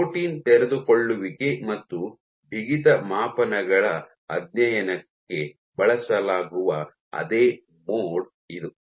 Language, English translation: Kannada, So, this is the same mode which is used for studies of protein unfolding as well as stiffness measurements